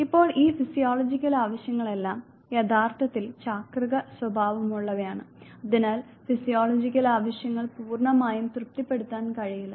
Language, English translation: Malayalam, Now all these physiological needs they actually are cyclic in nature and therefore, physiological needs cannot be completely satisfied